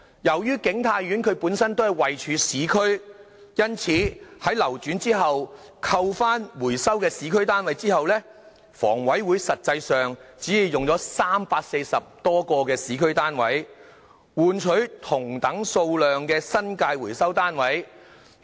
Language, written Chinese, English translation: Cantonese, 由於景泰苑位處市區，因此，在流轉後，扣去回收的市區單位後，房委會實際上只用了340多個市區單位，換取同等數量的新界回收單位。, As King Tai Court is located in the urban area after deducting the number of recovered urban units the Housing Authority HA actually used some 340 units in urban areas in exchange for the same number of recovered units in the New Territories